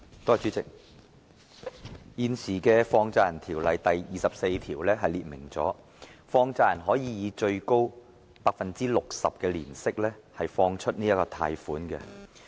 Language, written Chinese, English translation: Cantonese, 代理主席，現時《放債人條例》第24條列明，放債人可以最高 60% 的年息貸出款項。, Deputy President the existing section 24 of the Money Lenders Ordinance provides that a money lender may lend money at a maximum interest rate of 60 % per annum